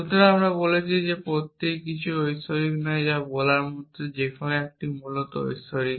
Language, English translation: Bengali, So, we are saying that everyone is naught divine which is like saying that no 1 is divine essentially